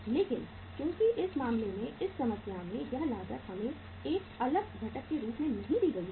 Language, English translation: Hindi, But since in this case, in this problem this cost is not given to us as a separate component